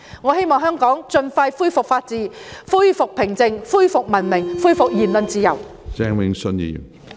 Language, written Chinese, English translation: Cantonese, 我希望香港盡快恢復法治、恢復平靜、恢復文明、恢復言論自由。, I hope to see the expeditious restoration of Hong Kong to a place with the rule of law peace civilized conduct and freedom of speech